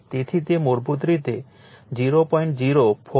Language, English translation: Gujarati, So, it is basically 0